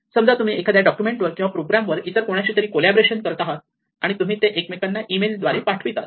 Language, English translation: Marathi, Supposing you are collaborating on a document or program with somebody else and you send it by email and they send it by